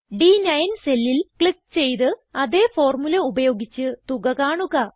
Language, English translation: Malayalam, Click on the cell referenced as D9 and using the same formula find the total